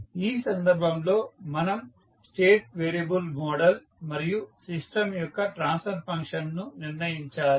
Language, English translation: Telugu, In this case we need to determine the state variable model and the transfer function of the system